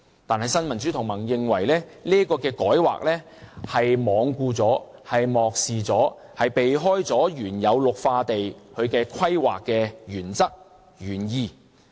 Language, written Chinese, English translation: Cantonese, 但是，新民主同盟認為這個改劃罔顧、漠視和避開了原有綠化地規劃的原則和原意。, The Neo Democrats however thinks that this rezoning plan is regardless of oblivious to and sidestepping the original principle and intent of green belt planning